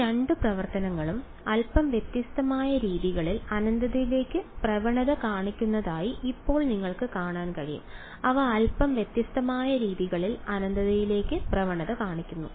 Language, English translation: Malayalam, Now you can see that these both these functions they tend to infinity in slightly different ways right, they tend to infinity in slightly different ways